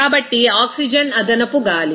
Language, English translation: Telugu, So, oxygen is excess air